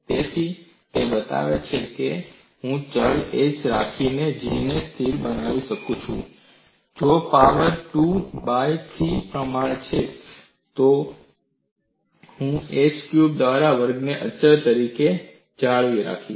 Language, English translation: Gujarati, As I can make G constant by having a variable h, it is proportional to a power 2 by 3; in essence, I would maintain a square by h cube as constant